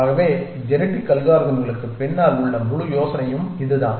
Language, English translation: Tamil, So, that is the general idea behind genetic algorithms